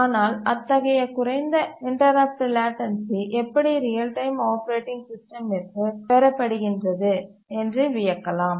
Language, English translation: Tamil, But then you might wonder that how does such low interrupt latency is achieved by a real time operating system